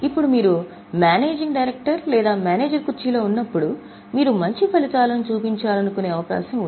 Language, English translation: Telugu, Now, when you are sitting in the chair of managing director or as somebody who is manager, there is likelihood that you would like to show better results